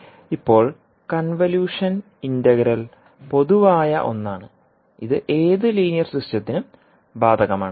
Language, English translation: Malayalam, Now the convolution integral is the general one, it applies to any linear system